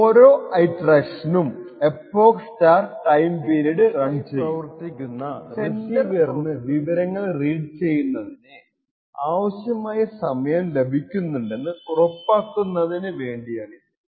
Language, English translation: Malayalam, So each iteration is run for epoch * TIME PERIOD, this is to ensure that the receiver which is running asynchronously from the sender process has sufficient amount of time to actually read this information